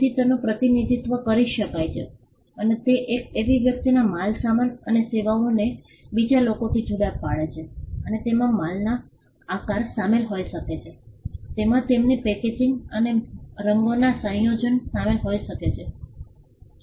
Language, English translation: Gujarati, So, it can be represented, and it distinguishes goods and services of one person from those of the other, and may include shape of goods, it may include their packaging and combination of colours